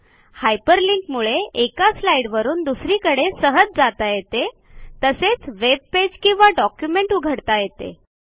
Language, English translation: Marathi, Hyper linking allows you to easily move from slide to slide or open a web page or a document from the presentation